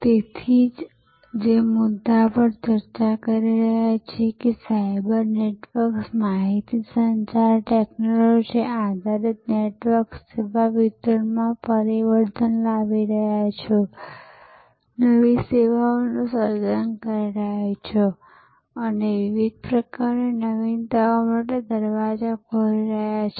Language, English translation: Gujarati, So, the point that we are discussing that cyber networks, information communication technology based networks are transforming service delivery, creating new services and opening the doors to many different types of innovations